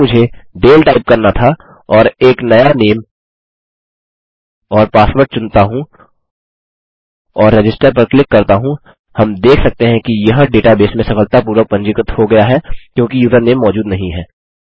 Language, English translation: Hindi, If I was to type Dale and choose a new name and password and click register, we can see that it has been successfully registered into the database because the username does not exists